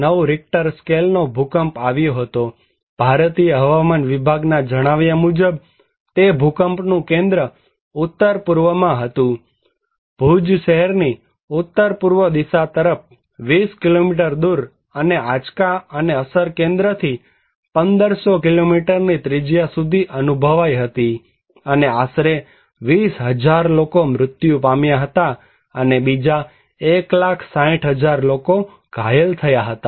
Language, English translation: Gujarati, 9 Richter scale, according to Indian Meteorological Department, the epicenter of that earthquake was northeast; 20 kilometres northeast of the Bhuj town, and the tremor and the effect was felt 1500 kilometer radius from the epicenter, and approximately 20,000 people were died and another 1, 60,000 people were injured